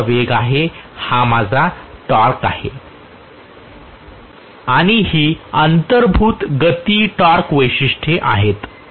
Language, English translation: Marathi, This is my speed, this is my torque, and this is the inherent speed torque characteristic